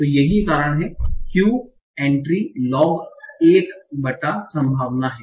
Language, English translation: Hindi, So that's why entropy is log of 1 by probability